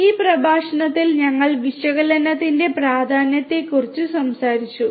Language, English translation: Malayalam, Here in this lecture we talked about the importance of analytics